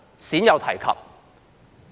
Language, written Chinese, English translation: Cantonese, 鮮有提及。, There is little mention of it